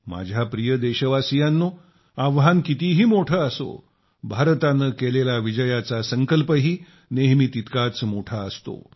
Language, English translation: Marathi, My dear countrymen, however big the challenge be, India's victoryresolve, her VijaySankalp has always been equal in magnitude